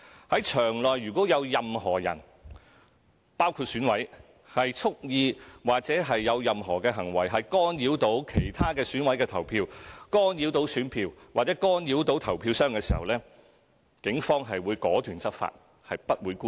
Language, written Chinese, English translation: Cantonese, 在場內如果有任何人蓄意或有任何行為干擾其他選委投票、干擾選票或干擾投票箱，警方會果斷執法，不會姑息。, If anyone including EC members deliberately attempt to interfere in the voting of other EC members or tamper with the ballot papers or ballot boxes in the polling station the Police will take resolute enforcement actions . Such behaviour will not be condoned